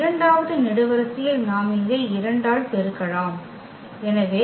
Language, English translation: Tamil, And in the second column we can place for instance we multiplied by 2 here, so 8 and 2